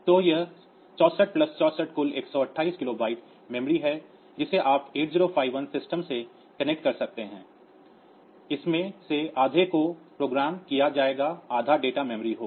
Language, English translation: Hindi, So, it is 64 plus 64 total 128 kilobyte of memory that you can connect to the 8051 system out of that half of it will be programmed memory half of it will be data memory